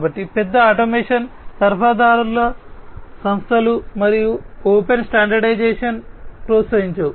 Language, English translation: Telugu, So, the large automation suppliers firms do not encourage open standardization